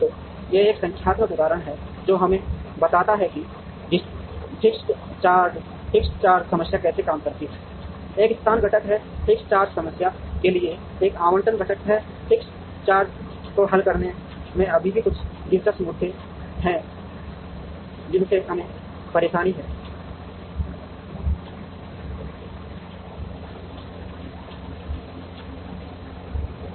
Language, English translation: Hindi, So, this is a numerical example, which kind of tells us how the fixed charge problem works, there is a location component, there is an allocation component to the fixed charge problem, there are still a couple of interesting issues in solving the fixed charge problem